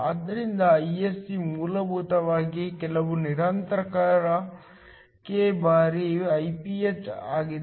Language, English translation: Kannada, So, Isc is essentially some constant k times Iph